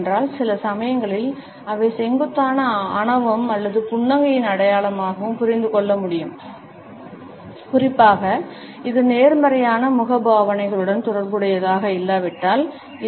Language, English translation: Tamil, Because sometimes we find that the steepling can also be understood as a mark of arrogance or smugness; particularly if it is not associated with positive facial expressions